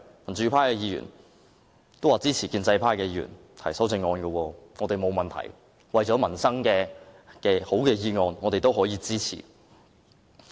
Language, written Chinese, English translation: Cantonese, 民主派議員也支持建制派議員提出修正案，我們沒有問題，為了民生，只要是好的建議，我們都可支持。, Democratic Members also support the amendment proposed by pro - establishment Members . We have no problem with it . For the sake of peoples livelihood we support any proposals as long as they are good